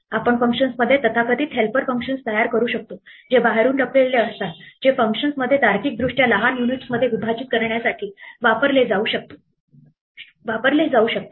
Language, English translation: Marathi, We can create so called helper functions within functions that are hidden to the outside that can be used inside the function to logically break up its activities in to smaller units